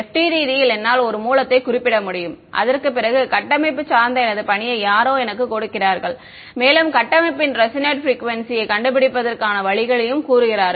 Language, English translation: Tamil, I can in FDTD I can specify a source after that what supposing my task someone gives me structure and says find out the resonate frequency of the structure